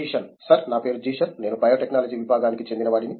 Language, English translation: Telugu, Sir my name is Zeeshan, I am from Department of Biotechnology